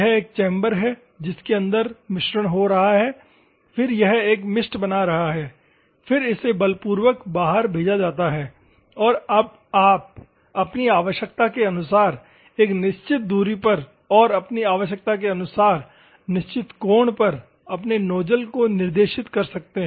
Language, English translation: Hindi, This is a chamber inside it is mixing, then it is forming a mist, then it is forcefully sent out and now you can direct your nozzle at a certain distance, as per your requirement and certain angle as per your requirement